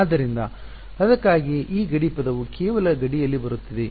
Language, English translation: Kannada, So, that is why this boundary term is coming just on the boundary